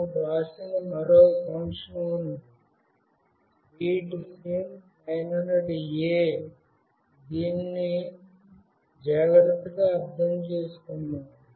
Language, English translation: Telugu, There is one more function that we have written, readSIM900A(), let us understand this carefully